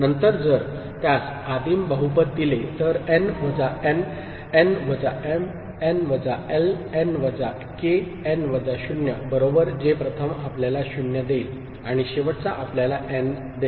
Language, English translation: Marathi, Then if that gives a primitive polynomial, then n minus n, n minus m, n minus l, n minus k, n minus 0 right which the first one will give you 0 and the last one will give you n